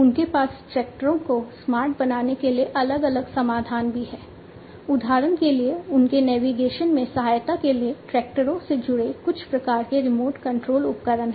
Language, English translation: Hindi, They also have different solutions for making the tractors smarter, for example, you know having some kind of remote control equipment attached to the tractors for aiding in their navigation